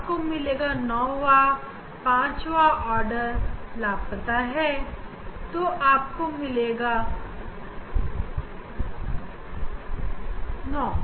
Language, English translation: Hindi, you will get 9 fifth order is missing you will get 9 here